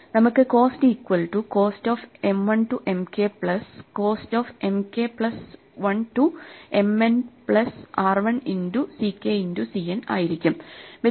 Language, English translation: Malayalam, We have that the cost of M 1 splitting at k is a cost of M 1 to M k plus the cost of M k plus one to M n plus the last multiplication r 1 into c k to c n